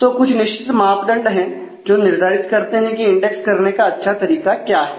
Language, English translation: Hindi, So, there are certain measures to decide as to what is a good way to index